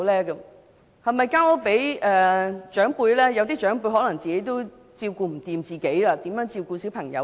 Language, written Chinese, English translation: Cantonese, 有些長輩自己也不能照顧自己，如何照顧小朋友？, Some senior family members cannot even take care of themselves so how can they take care of children?